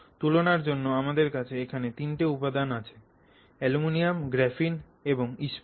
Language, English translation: Bengali, So, just for comparison I have put three materials down here, aluminum, graphene and steel